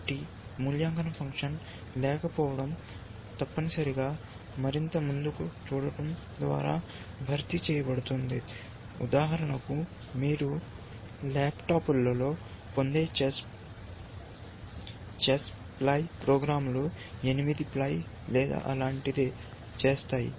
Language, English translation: Telugu, So, the absence of an evaluation function is compensated by doing more look ahead essentially, typical chess playing programs that you get, on laptops for example, would do something like eight ply or something like that